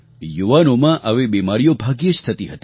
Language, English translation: Gujarati, Such diseases were very rare in young people